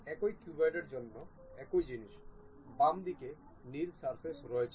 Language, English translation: Bengali, The same thing for the same cuboid, there is blue surface on the left hand side